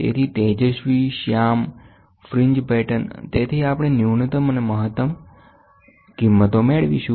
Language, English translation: Gujarati, So, bright, dark, bright, dark, right fringe patterns so, we get minimum and we get maximum